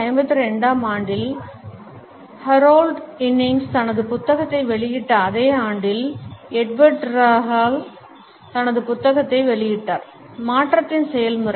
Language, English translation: Tamil, In 1952 only, the same year in which Harold Innis has published his book, Edward T Hall also published his book The Process of Change